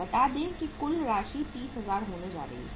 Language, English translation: Hindi, say uh total amount is going to be 30,000